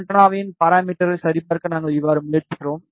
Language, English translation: Tamil, This is how we try to check the parameters of the antenna